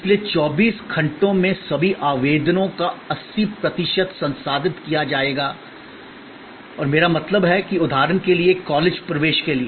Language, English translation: Hindi, So, 80 percent of all applications in 24 hours will be processed and I mean for a college admission for example